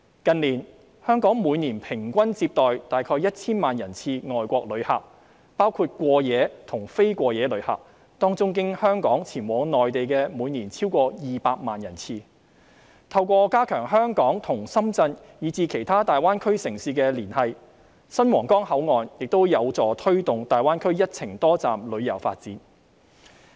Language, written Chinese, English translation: Cantonese, 近年，香港每年平均接待的外國旅客大約 1,000 萬人次，包括過夜及非過夜旅客，當中經香港前往內地的每年超過200萬人次，透過加強香港及深圳以至其他大灣區城市的連繫，新皇崗口岸亦有助推動大灣區"一程多站"的旅遊發展。, In recent years our overseas visitors including same - day and overnight visitors averaged at about 10 million arrivals per year . Of these arrivals over 2 million arrivals per year went to the Mainland through Hong Kong . With the enhanced linkage between Hong Kong and Shenzhen and other Greater Bay Area cities the new Huanggang Port can help promote the development of one - trip multi - destination tourism in the Greater Bay Area